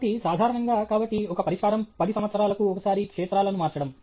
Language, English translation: Telugu, So, generally okay, so, one solution is change fields once in ten years